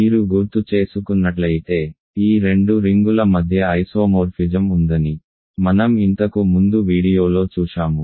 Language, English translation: Telugu, So, recall I have showed in an earlier video that there is an isomorphism between these two rings ok